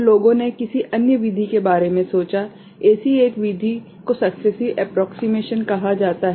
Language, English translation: Hindi, So, people thought about some other method; one such method is called successive approximation right